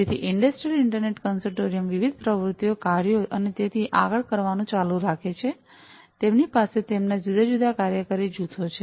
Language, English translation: Gujarati, So, Industrial Internet Consortium continues to do different activities, tasks and so on, they have their different working groups